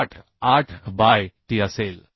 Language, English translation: Marathi, 88 by t right